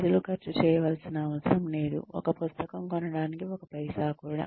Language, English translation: Telugu, People do not have to spend, even one paisa to buy a book